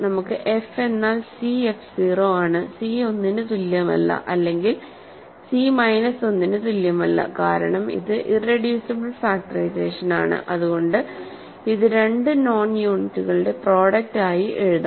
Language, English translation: Malayalam, So, so we have f is c f 0, c is not equal to 1 or c is not equal to minus 1 because it is an irreducible factorization, right